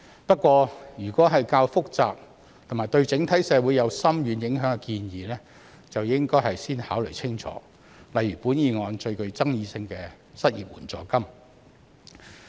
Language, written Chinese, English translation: Cantonese, 不過，如果是較複雜和對整體社會有深遠影響的建議，則應該先考慮清楚，例如本議案最具爭議性的失業援助金。, However careful considerations should first be given to more complicated proposals which have far - reaching implications on society as a whole such as an unemployment assistance which is the most controversial in this motion